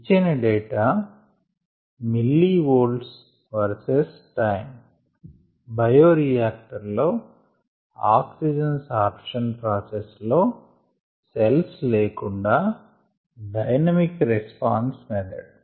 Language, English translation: Telugu, what is know or given the data on millivolt verses time during the oxygen sorption process in the bioreactor in the absence of cells, the, the dynamic response method, the